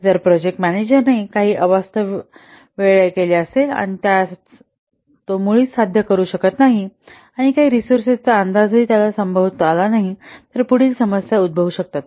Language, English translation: Marathi, If the project manager committed some unrealistic times which he cannot achieve at all and some resource estimates which is not feasible at all, then the following problems might arise